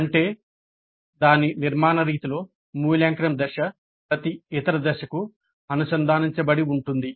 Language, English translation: Telugu, That means in its formative mode, the evaluate phase is connected to every other phase